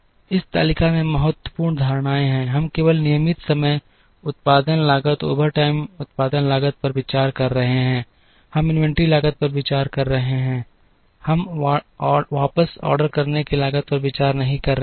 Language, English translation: Hindi, The important assumptions in this table are, we are considering only regular time production cost overtime production cost; we are considering inventory cost, we are not considering back ordering cost